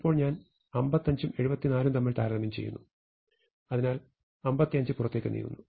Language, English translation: Malayalam, Now I compare 55 and 74, and so 55 moves out, and I compare 74 and 64